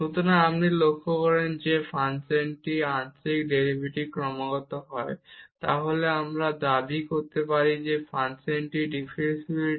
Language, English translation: Bengali, So, if you observe that the function is or the partial derivative is continuous, then we can claim that the function is differentiable